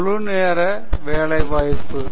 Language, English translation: Tamil, Full time employment